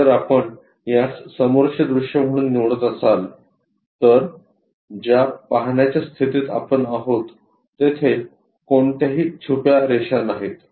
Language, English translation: Marathi, If we are picking this one as the view front view there is only one hidden line we have